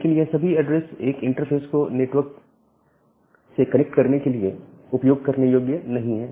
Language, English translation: Hindi, But all this address are not usable for connecting a interface network interface with the internet